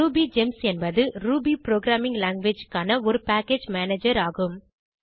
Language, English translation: Tamil, RubyGems is a package manager for Ruby programming language